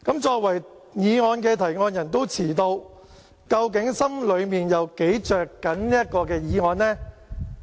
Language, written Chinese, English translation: Cantonese, 作為議案的動議者也遲到，究竟心裏有多着緊這項議案呢？, But when you as the mover of the motion also arrived late how concerned are you in regard to this motion?